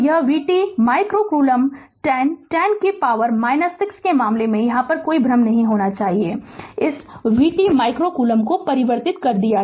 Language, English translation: Hindi, So, v t micro coulomb right, there should not be any confusion in case 10, 10 to the power minus 6 and converted this v t micro coulomb right